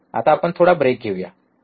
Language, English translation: Marathi, For now, let us take a break, alright